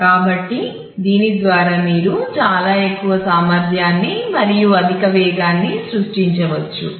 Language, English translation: Telugu, So, by this you can create very high capacity and very high speed and